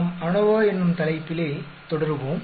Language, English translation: Tamil, We will continue on the topic of ANOVA